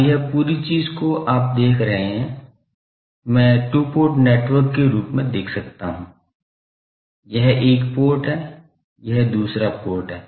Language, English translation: Hindi, Now, this whole thing you see I can view as a two port network; this is one port, this is another port